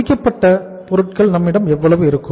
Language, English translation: Tamil, How much finished goods we will have